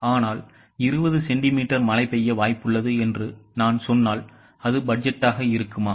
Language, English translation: Tamil, But if I say that it is likely to rain 20 centimeters, will it be a budget